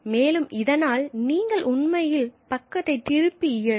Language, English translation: Tamil, So, so and you can actually turn back in page